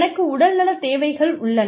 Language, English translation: Tamil, I have health needs